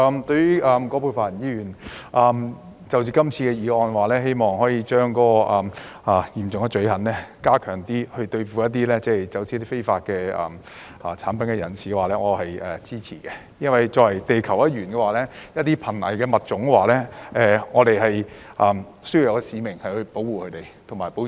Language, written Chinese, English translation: Cantonese, 對於葛珮帆議員提出這項議案，希望把嚴重罪行擴大，以對付走私非法產品的人，我表示支持，因為作為地球一員，我們有使命去保護瀕危物種。, I support Ms Elizabeth QUATs motion which seeks to expand the scope of serious crimes to cover traffickers of illegal goods as we being a member of the Earth community have the duty to protect endangered species